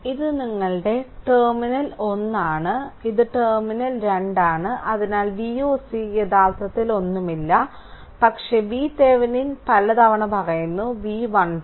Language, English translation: Malayalam, So, this is your terminal 1 and this is terminal 2 so, V oc actually nothing, but V Thevenin is equal to several times I am telling is equal to V 1 2